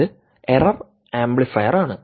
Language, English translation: Malayalam, this is essentially an error amplifier